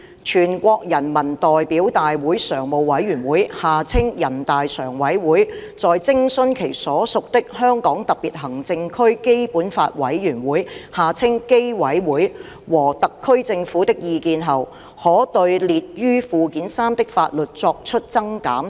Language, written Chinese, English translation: Cantonese, 全國人民代表大會常務委員會在徵詢其所屬的香港特別行政區基本法委員會和特區政府的意見後，可對列於附件三的法律作出增減。, The Standing Committee of the National Peoples Congress NPCSC may add to or delete from the list of laws in Annex III after consulting its Committee for the Basic Law of the Hong Kong Special Administrative Region BLC and the SAR Government